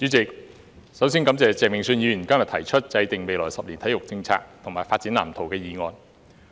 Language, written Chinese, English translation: Cantonese, 主席，首先感謝鄭泳舜議員今日提出"制訂未來十年體育政策及發展藍圖"的議案。, President first of all I would like to thank Mr Vincent CHENG for proposing the motion on Formulating sports policy and development blueprint over the coming decade today